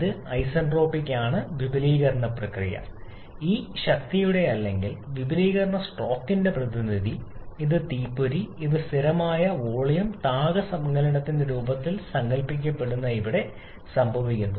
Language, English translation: Malayalam, This isentropic expansion process, the representative of this power or expansion stroke, the spark which is happening here that is being conceptualized in the form of this constant volume heat addition